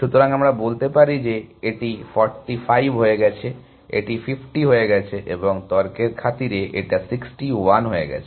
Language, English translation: Bengali, So, let us say, this is become 45, this becomes 50 and this become 61 for arguments sake